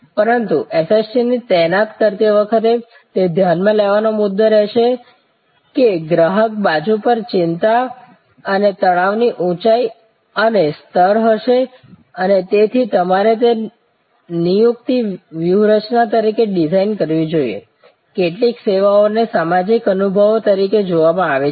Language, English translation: Gujarati, But, it is remains a point to consider while deploying SST that there will be a height and level of anxiety and stress on the customer side and therefore, you must design that into the deployment strategy, also there can be some services are seen as social experiences and therefore, people prefer to deal with people